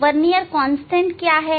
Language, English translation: Hindi, there is the vernier constant